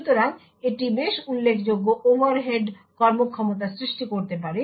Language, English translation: Bengali, So, this could cause quite a considerable performance overhead